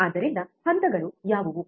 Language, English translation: Kannada, So, what are the steps